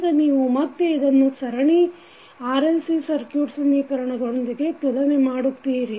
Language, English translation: Kannada, Now, you will compare this again with the series RLC circuit equation